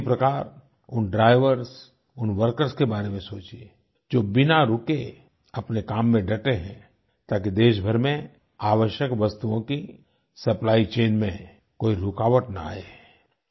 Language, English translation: Hindi, Similar to that, think about those drivers and workers, who are continuing to work ceaselessly, so that the nation's supply chain of essential goods is not disrupted